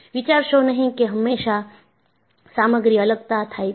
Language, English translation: Gujarati, So, do not think, always, there is material separation